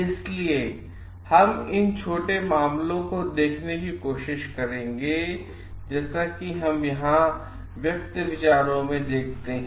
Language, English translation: Hindi, So, we will try to take a small cases like, as we see over here in expressive views